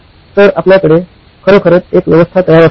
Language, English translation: Marathi, So we could actually have an arrangement